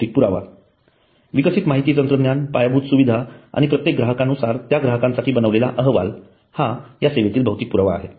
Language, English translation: Marathi, Physical evidence developed information technology infrastructure and customized report for every customer that is the physical evidence